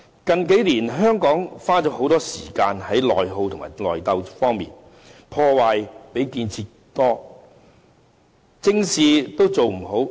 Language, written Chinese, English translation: Cantonese, 近年來，香港花了很多時間在內耗和內鬥上，破壞較建設多，正事做不好。, In recent years Hong Kong has been consumed in internal attrition and struggling which have done more harm than good and nothing right has been achieved